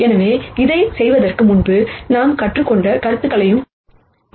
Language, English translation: Tamil, So, we are going to use concepts that we have learned before to do this